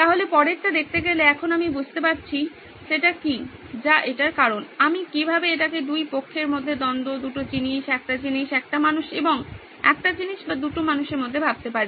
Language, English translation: Bengali, So the next was to see okay now that I have found out what is it that is causing that, how can I think about it as a conflict between two parties, two things, a thing a human and a thing or a between two humans